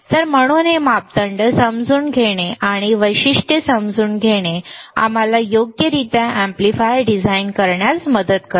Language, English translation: Marathi, So, so, understanding this parameters and understanding this characteristic would help us to design the amplifier accordingly right